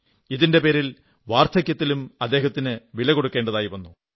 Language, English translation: Malayalam, For this, he had to pay a heavy price in his old age